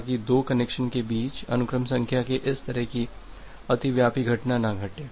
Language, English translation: Hindi, So, that this kind of overlapping of sequence numbers between two connection does not happen